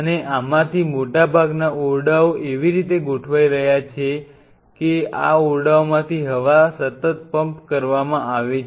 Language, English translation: Gujarati, And most of these rooms are being arraigned in a way that the air is being continuously pumped out of these rooms